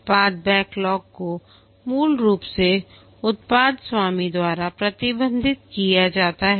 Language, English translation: Hindi, The product backlog is basically managed by the product owner